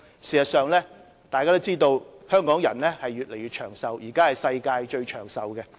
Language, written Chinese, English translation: Cantonese, 事實上，眾所周知，香港人越來越長壽，是現時世界上最長壽的地方。, In fact it is well known that the life expectancy in Hong Kong is on the increase . At present the life expectancy of Hong Kong people ranks first in the world